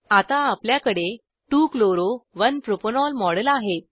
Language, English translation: Marathi, We now have the model of 2 chloro 1 propanol